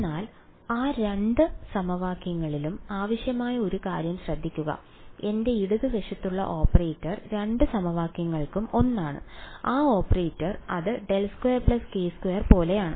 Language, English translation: Malayalam, But notice one thing that was required in both of these equations is that the operator that I have on the left hand side that for both the equations is the same right and that operator is what it is like del squared plus k squared